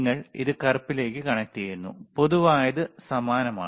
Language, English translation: Malayalam, You connect it to black, and common is same,